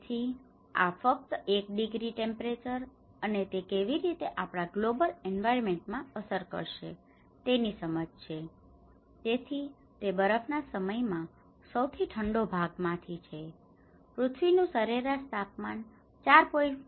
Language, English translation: Gujarati, So, this is just an understanding of 1 degree temperature and how it will have an impact on our global environment, so that is what in the coldest part of the last ice age, earth's average temperature was 4